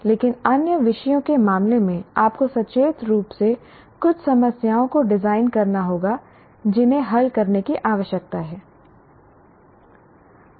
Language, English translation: Hindi, But in case of other subjects, you will have to consciously design some problems that need to be solved